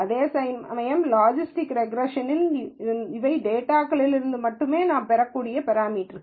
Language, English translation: Tamil, Whereas, in logistics regression, these are parameters I can derive only from the data